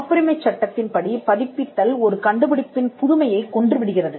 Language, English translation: Tamil, In patent law the publication kills the novelty of an invention